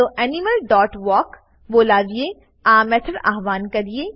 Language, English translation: Gujarati, Let us invoke this method by calling animal dot walk